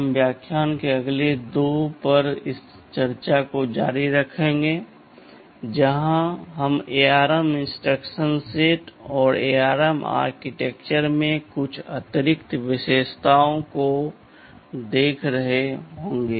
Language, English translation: Hindi, We shall be continuing this discussion over the next couple of lectures where we shall be looking at some of the more additional features that are there in the ARM instruction set and also the ARM architectures